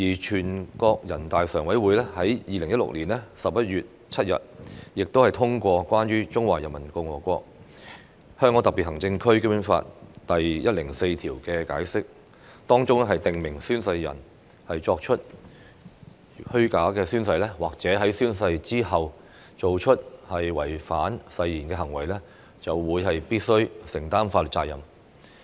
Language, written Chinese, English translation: Cantonese, 全國人民代表大會常務委員會在2016年11月7日通過《關於〈中華人民共和國香港特別行政區基本法〉第一百零四條的解釋》，當中訂明宣誓人作虛假宣誓或者在宣誓之後從事違反誓言行為的，依法承擔法律責任。, The Standing Committee of the National Peoples Congress NPCSC adopted the Interpretation of Article 104 of the Basic Law of HKSAR of the Peoples Republic of China on 7 November 2016 which stipulates that an oath taker who makes a false oath or who after taking the oath engages in conduct in breach of the oath shall bear legal responsibility in accordance with law